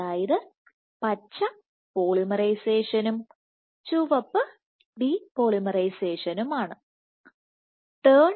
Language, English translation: Malayalam, So, green is polymerization and red is depolymerization